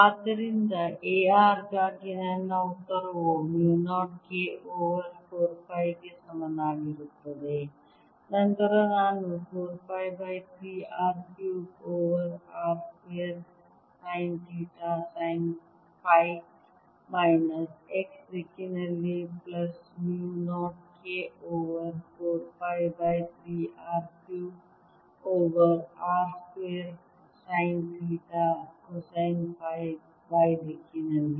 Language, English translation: Kannada, so in the final answer i have: a r equals mu naught k over three r cubed over r square sine theta phi unit vector for r greater than equal to r and is equal to mu naught k over three r sine theta phi for r lesser than r